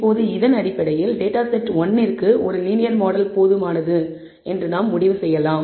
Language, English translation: Tamil, Now based on this we can safely conclude that data set one clearly a linear model is adequate